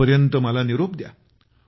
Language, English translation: Marathi, Till then, I take leave of you